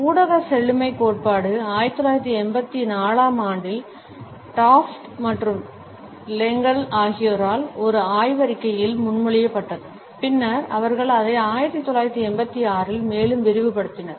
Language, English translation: Tamil, The media richness theory was proposed by Daft and Lengel in a paper in 1984 and then they further extended it in 1986